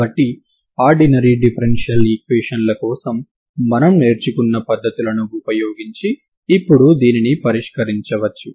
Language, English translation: Telugu, So this we can solve now using the techniques that we learned from learned for ordinary differential equations